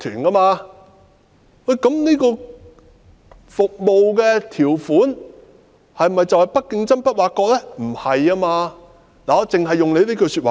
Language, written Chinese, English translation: Cantonese, 那麼，這項服務條款是否等於"不作競爭、不作挖角"呢？, So is this term of service equivalent to the non - compete non - poach arrangements?